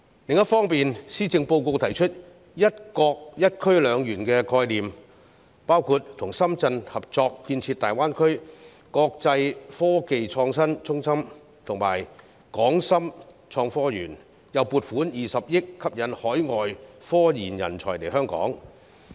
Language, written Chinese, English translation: Cantonese, 另一方面，施政報告提出一個"一區兩園"的概念，包括與深圳合作建設大灣區國際科技創新中心和港深創新及科技園，又撥款20億元吸引海外科研人才來港。, On the other hand the Policy Address proposes the concept of one zone two parks including the joint development with Shenzhen of an international innovation and technology hub in the Greater Bay Area and the Hong Kong - Shenzhen Innovation and Technology Park . And the Government has allocated 2 billion for attracting overseas scientific research talents to Hong Kong